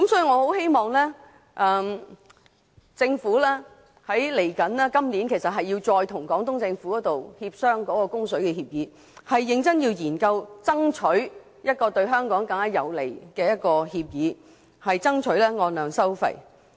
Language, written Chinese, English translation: Cantonese, 我希望政府今年稍後時間，會再與廣東政府協商供水協議，認真研究對香港更有利的供水協議，爭取按量收費。, I hope that the Government will negotiate the Agreement with the Guangdong Government again later this year . The Government should earnestly seek an agreement of water supply based on a quantity - based charging scheme which will be more favourable to Hong Kong